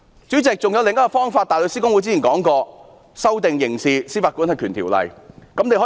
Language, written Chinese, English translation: Cantonese, 主席，還有另一種方法，香港大律師公會之前指出，可以修訂《刑事司法管轄權條例》。, How dare they talk black into white like that! . President as pointed out by the Hong Kong Bar Association there is another way to deal with the case which is to amend the Criminal Jurisdiction Ordinance